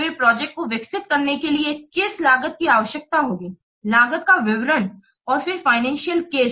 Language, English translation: Hindi, Then what cost will be required to develop the project, details of the costs and then the financial case